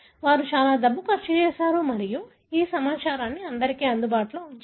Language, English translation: Telugu, They spent lot of money and made this information available for everybody